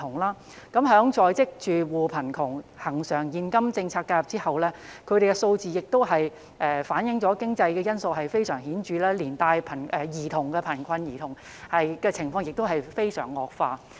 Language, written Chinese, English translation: Cantonese, 關於在職住戶貧窮，在恆常現金政策介入後，有關數字反映經濟因素的影響非常顯著，連帶兒童貧困的情況亦有惡化。, Regarding the poverty situation of working households after the recurrent cash invention the relevant figures illustrate the significant impact of economic factors on it and also the child poverty situation which has worsened